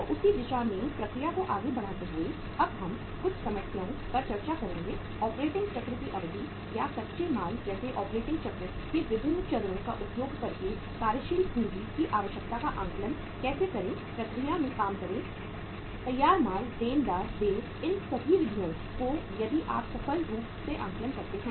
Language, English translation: Hindi, So carrying the process forward in the same direction we will be now uh discussing some problems that how to assess the working capital requirement by using the duration uh of the operating cycle or different stages of the operating cycle like raw material, work in process, finished goods, debtors, accounts payable all these durations if you are if you are able to successfully work out these durations